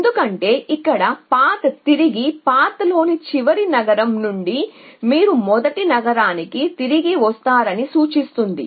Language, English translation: Telugu, Because if all the told represented by path and it is implicit that from the last city in the path you come back the first city